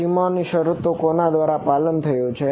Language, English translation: Gujarati, boundary conditions are obeyed by whom